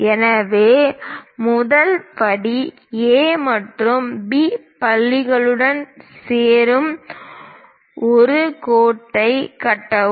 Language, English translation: Tamil, So, first step construct a dashed line joining A and B points